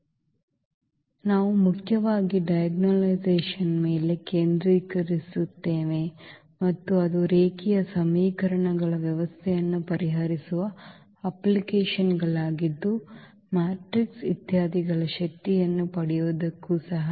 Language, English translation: Kannada, This is lecture number 50 and we will mainly focus on iagonalization and also it is applications for solving system of linear equations, also for getting the power of the matrices etcetera